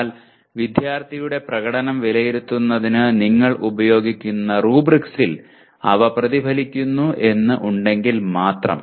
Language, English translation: Malayalam, But provided they do get reflected in the rubrics you use for evaluating the student performance